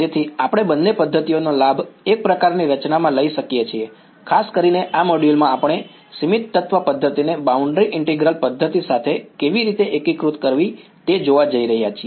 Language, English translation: Gujarati, So, that we can take advantages of both methods into one sort of a formulation; in particular this module we are going to see how to integrate finite element method with boundary integral method